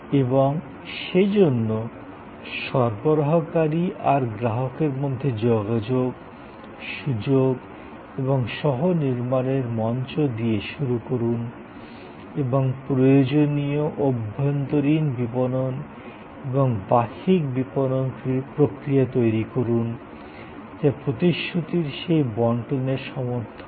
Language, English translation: Bengali, And therefore start with the provider customer interaction and opportunity and the platform for co creation and create necessary internal marketing and external marketing process that support ably that delivery of the promise